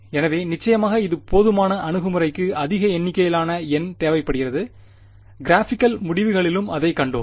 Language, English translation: Tamil, So, of course, that is enough approach need large number of N and we saw that in the graphical results also